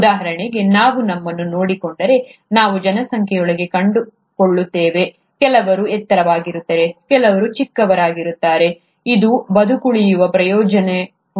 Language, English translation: Kannada, So for example, if we look at ourselves, we would find within the population, some people are tall, some people are shorter, does it provide a survival advantage